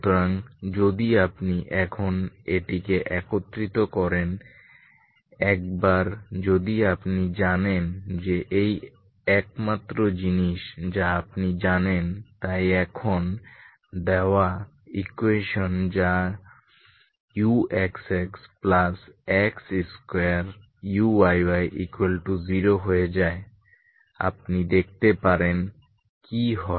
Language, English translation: Bengali, So if you combine this now, once you know these are the only things you know so now the given equation that is U X X plus X square U Y Y equal to zero becomes, you can see what happens